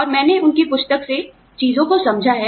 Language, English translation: Hindi, And, I have understood things, from their book